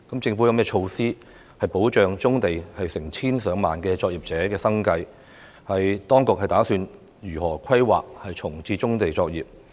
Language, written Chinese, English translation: Cantonese, 政府有何措施保障棕地成千上萬作業者的生計？當局打算如何規劃重置棕地作業？, What measures does the Government have to protect the livelihood of tens of thousands of brownfield site operators?